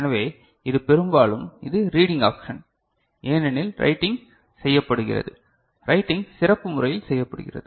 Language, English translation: Tamil, So, it is mostly it is reading option because write is done, writing is a done in a special manner